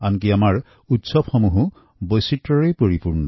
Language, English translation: Assamese, Even our festivals are replete with diversity